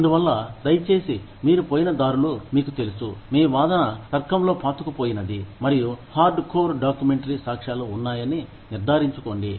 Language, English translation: Telugu, And so, please make sure that, your tracks are, you know, your argument is rooted, in solid logic, and hard core documentary evidence